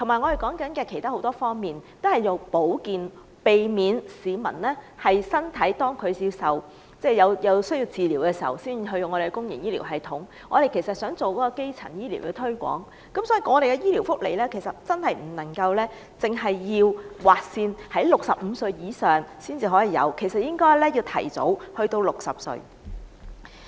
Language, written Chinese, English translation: Cantonese, 還有很多其他方面，現時都提倡保健，避免市民身體需要治療時才使用公營醫療系統，我們想做好基層醫療推廣，所以，醫療福利不能劃線規定65歲以上人士才可享用，而應該提前至60歲。, Preventive health care is promoted in many other places to dissuade people from using the public health care system only when treatments are needed . We wish to pursue the promotion of primary health care hence the age threshold for receiving health care benefits should be set not at 65 but lowered to 60